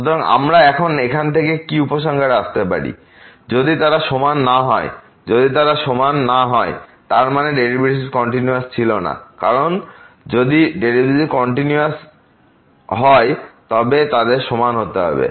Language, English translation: Bengali, So, what we can conclude from here, if they are not equal, if they are not equal; that means, the derivatives were not continuous because if the derivatives were continuous then they has to be equal